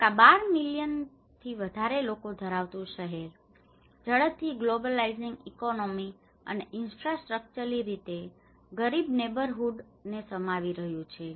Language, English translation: Gujarati, Dhaka, the city of more than 12 million people is encompassing both rapidly globalizing economy and infrastructurally poor neighbourhoods